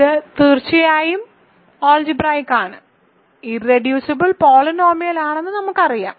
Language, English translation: Malayalam, So, it is algebraic and if it is what is it is irreducible polynomial over Q